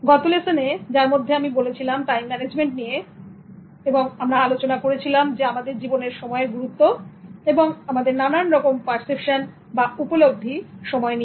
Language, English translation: Bengali, In the last lesson in which I started first to talk about managing time, we discussed about the importance of time and various perceptions of time